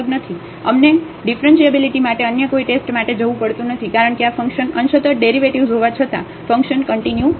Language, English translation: Gujarati, We do not have to go for any other test for differentiability because the function is not continuous though the partial derivatives exist in this case